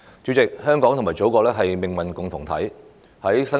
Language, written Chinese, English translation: Cantonese, 主席，香港與祖國是命運共同體。, President Hong Kong and the Motherland is a community with a shared future